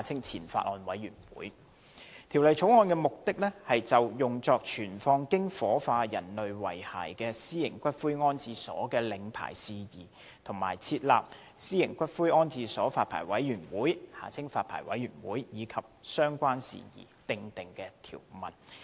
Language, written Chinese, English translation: Cantonese, 《條例草案》的目的，是就用作存放經火化人類遺骸的私營骨灰安置所的領牌事宜，以及設立私營骨灰安置所發牌委員會和相關事宜，訂定條文。, The Bill seeks to provide for the licensing of private columbaria for keeping ashes resulting from the cremation of human remains as well as the establishment of the Private Columbaria Licensing Board and make other provisions to deal with related matters